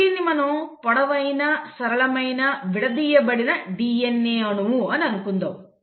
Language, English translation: Telugu, Now, let us assume that this is your long, linear, uncoiled DNA molecule